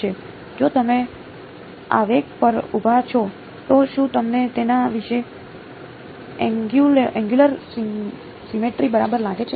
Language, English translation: Gujarati, If you are standing at the impulse, do you find an angular symmetry about it right